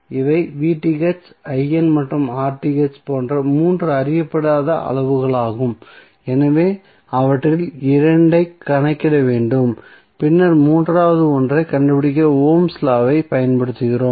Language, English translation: Tamil, These are the three unknown quantities like V Th, I N and R Th so we need to calculate two of them and then we use the ohms law to find out the third one